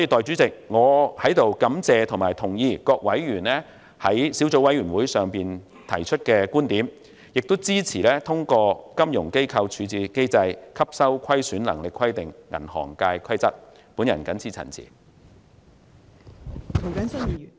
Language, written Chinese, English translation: Cantonese, 主席，我希望局長懸崖勒馬，即使有關規則獲通過，可以對12間銀行施加一些所謂處置機制、吸收虧損能力的規定，也希望政府不要這樣做。, President I hope the Secretary will pull back from the brink . Even if the Rules are passed so that some so - called loss - absorbing capacity requirements under the resolution regime can be imposed on the 12 banks I still hope that the Government will not do so